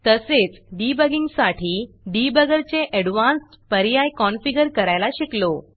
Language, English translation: Marathi, Also saw how to configure the debugger for advanced debugging